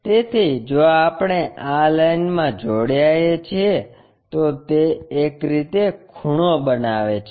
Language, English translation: Gujarati, So, if we are joining this line, it makes an angle in that way